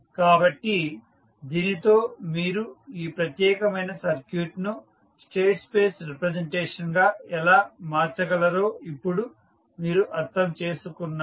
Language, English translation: Telugu, So with this you can now understand that how you can convert this particular the circuit into a state space representation